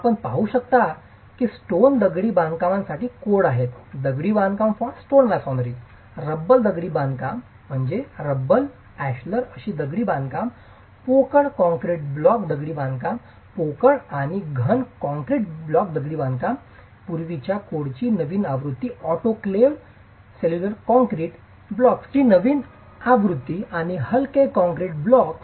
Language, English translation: Marathi, So, as you can see, there are codes for stone masonry, a code of practice for stone masonry, rubble stone masonry, ashlar masonry, which is a more formal stone masonry, hollow concrete concrete block masonry, hollow and solid concrete block masonry, construction methods, that's a late, a newer version of the previous code, autoclaved cellular concrete blocks, and lightweight concrete blocks